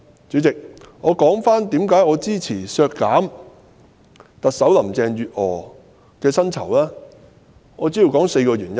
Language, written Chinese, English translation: Cantonese, 主席，讓我言歸為何支持削減特首林鄭月娥的薪酬開支，主要有4個原因。, Chairman let me turn back to talk about the reason why I support the deletion of the expenditure for paying the salaries of Chief Executive Carrie LAM . There are four main reasons